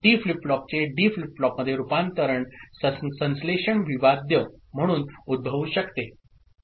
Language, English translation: Marathi, The conversion of T flip flop to D flip flop can be posed as a synthesis problem